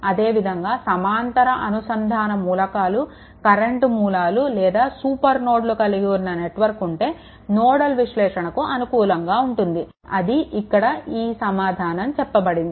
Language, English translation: Telugu, And similarly, a network that contains parallel connected elements, current sources or super nodes are suitable for nodal analysis right, but this is actually something we are giving